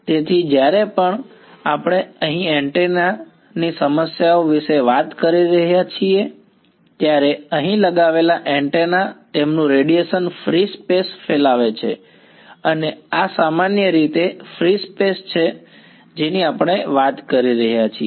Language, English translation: Gujarati, So, when we are talking about antenna problems here, the antenna sitting over here it is radiating out in free space and this is usually free space that we are talking about